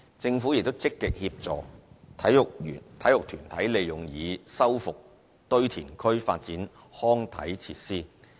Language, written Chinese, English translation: Cantonese, 政府亦積極協助體育團體利用已修復堆填區發展康體設施。, The Government is also actively helping sports groups to make use of restored landfills for the development of sports facilities